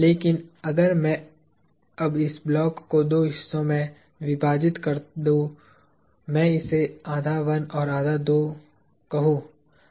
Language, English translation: Hindi, But, if I now cut this block into two halves; I will call this half 1 and half 2